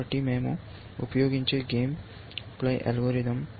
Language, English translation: Telugu, So, the game playing algorithm that we will use is